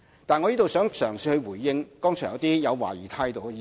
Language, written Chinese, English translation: Cantonese, 但是，我想在這裏嘗試回應剛才一些抱有懷疑態度的議員。, But I would like to try to respond to Members who said just now they had reservation about this tax arrangement